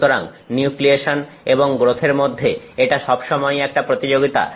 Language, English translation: Bengali, So, it is always a competition between nucleation and growth